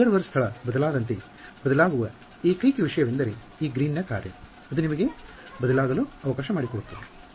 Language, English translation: Kannada, The only thing that changes as the observer location changes is this Green’s function, that is all let you have to change